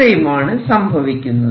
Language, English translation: Malayalam, So, this is what would happen